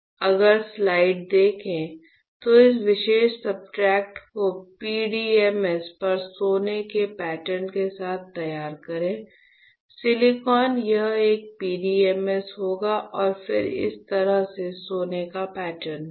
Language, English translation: Hindi, So, if you see the slide, you have this particular substrate ready with your gold pattern on the PDMS, is not it; silicon, this one would be PDMS and then you have your gold patterned in this way, is not it